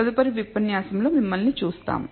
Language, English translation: Telugu, So, see you in the next lecture